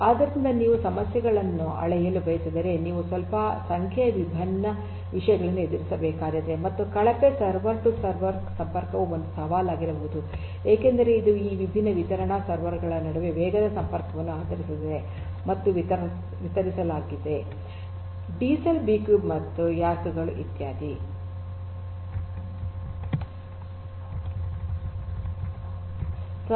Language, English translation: Kannada, So, if you want to scale up the you know the issues are not very trivial you have to deal with large number of different things and poor server to server connectivity can be a challenge because it heavily bases on fast connectivity between these different distributed servers and distributed D cells cubes and racks and so on um